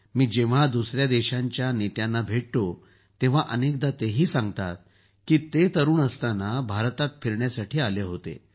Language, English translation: Marathi, When I meet leaders of other countries, many a time they also tell me that they had gone to visit India in their youth